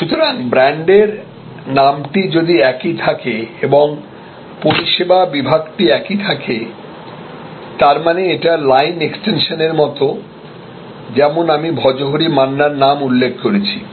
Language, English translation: Bengali, So, if the brand name is this the same and the service category remains the same to it is like the line extension like I mentioned the name of Bhojohori Manna